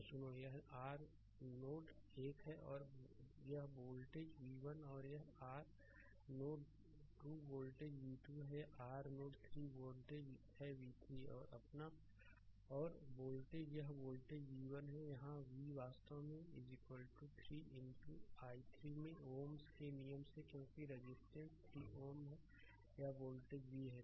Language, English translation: Hindi, So, listen this is your node 1 this voltage is v 1 right and this is your node 2 voltage is v 2, this is your node 3 voltage is v 3 and volt this one voltage v is here, v actually is equal to 3 into i 3 from Ohms law, because the resistance is 3 ohm this voltage is v right